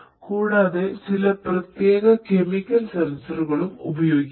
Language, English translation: Malayalam, And some chemical sensors could be used